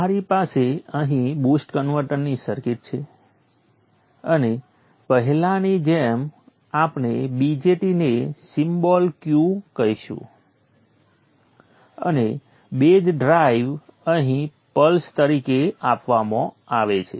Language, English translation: Gujarati, We have here the circuit of the boost converter and like before we will form the VJT symbol Q and the base drive is given here as pulses